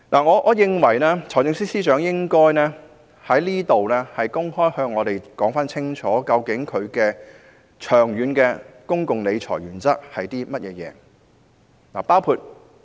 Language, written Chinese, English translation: Cantonese, 我認為財政司司長應該在此向我們公開說明，他的長遠公共理財原則是甚麼。, I think the Financial Secretary should publicly explain to us what his long - term public finance principle is